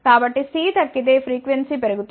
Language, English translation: Telugu, So, if C decreases frequency will increase